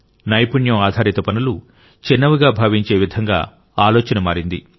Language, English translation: Telugu, The thinking became such that skill based tasks were considered inferior